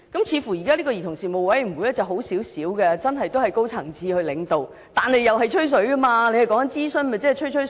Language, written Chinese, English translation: Cantonese, 似乎現在的兒童事務委員會比較好一點，真的由高層次領導，但仍是"吹水"，因為政府說的是屬諮詢性質，不又是"吹吹水"？, The proposed Commission seems to be a bit better for it is really led by high - level officials and yet it is still a chit - chat venue because the Government said that it will be advisory in nature